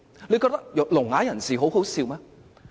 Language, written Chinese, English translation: Cantonese, 他們覺得聾啞人士很可笑嗎？, Do they find the deaf - mute laughable?